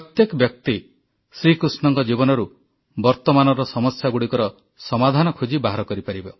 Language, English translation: Odia, Everyone can find solutions to present day problems from Shri Krishna's life